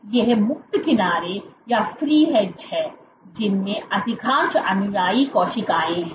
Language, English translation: Hindi, So, these are the free edge which contain most of the follower cells